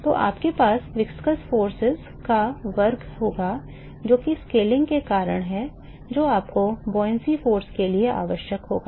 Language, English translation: Hindi, So, its say just square, you will have square of the viscous forces that is because of the scaling that you will require for the buoyancy force